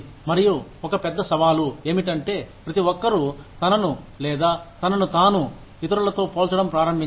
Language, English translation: Telugu, And, one big challenge is that, everybody starts comparing, herself or himself, to others